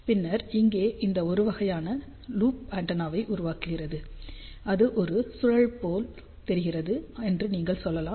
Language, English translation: Tamil, And then this one over here is making a kind of a loop antenna, you can also say that it looks like a spiral ok, but it is all right